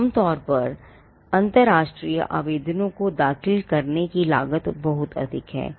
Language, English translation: Hindi, Usually, the cost of filing international applications is very high